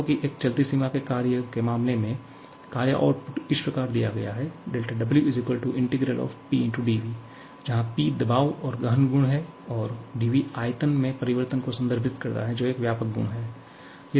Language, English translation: Hindi, Like if you are talking about a moving boundary work there, the work output is given as integral Pdv, where P is pressure and intensive property and dv refers to the change in volume which is an extensive property